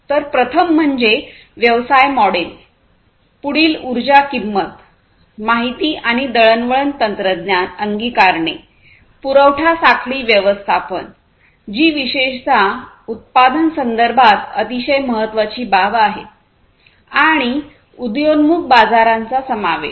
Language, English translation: Marathi, So, the first one is the business models, the next one is the energy price, information and communication technology adoption, supply chain management, which is a very very important thing, particularly in the manufacturing context, and the inclusion of emerging markets